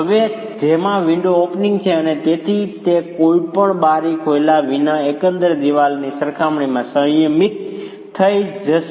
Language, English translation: Gujarati, Now that has window openings and so that's going to be restrained compared to the overall wall without any window openings